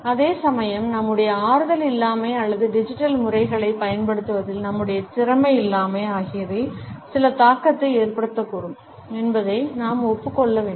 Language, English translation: Tamil, At the same time we have to admit that our lack of comfort or our lack of competence in the use of digital methods may also result in certain reservations